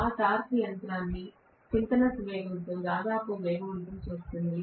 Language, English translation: Telugu, That torque will accelerate the machine almost close to the synchronous speed